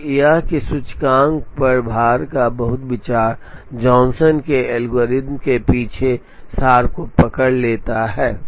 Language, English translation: Hindi, And that the very idea of the weight on the index captures the essence behind the Johnson's algorithm